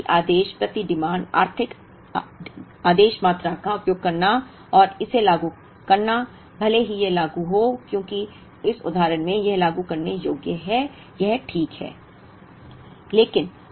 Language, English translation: Hindi, So, using the economic ordering quantity per say and implementing it, even though it is implementable, as in this example it is implementable, it is fine